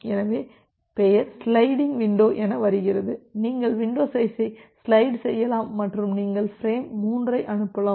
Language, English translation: Tamil, So, that from there the name sliding window comes, you can slide the window and you can send frame 3